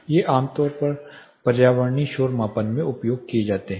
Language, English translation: Hindi, These are commonly used in environmental noise measurements